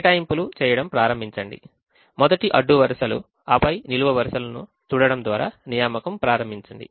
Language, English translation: Telugu, start making assignments, first start by looking at the rows and then look at the columns, and so on